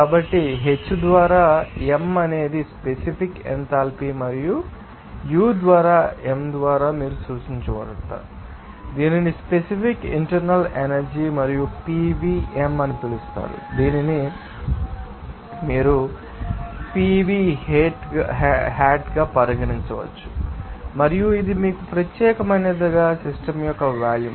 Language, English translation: Telugu, So, H by m is basically that specific enthalpy and this U by m can be you know denoted by you had it is called specific internal energy and PV by m that you can regard it as being to be PV hat and this for you know specific volume of the system